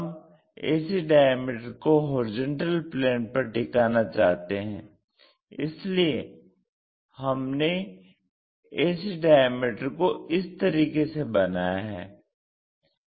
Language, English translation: Hindi, We want to keep this ac resting on this horizontal plane that is a reason we made this ac in this way